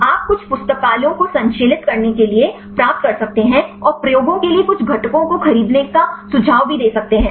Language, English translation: Hindi, You can and get some libraries to synthesize and you can also suggest to purchase some components for the experiments